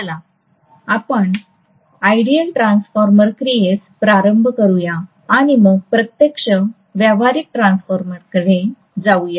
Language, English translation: Marathi, Let us start off with ideal transformer action and then let us go over to the actual practical transformer